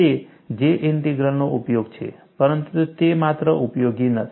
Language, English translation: Gujarati, That is one of the uses of J Integral, but that is not the only use